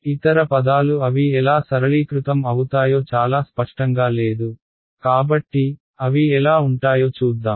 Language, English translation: Telugu, The other terms it is not very clear how they will get simplified ok, so, let us let us see how they will